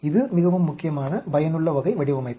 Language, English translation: Tamil, This is also very important, useful type of design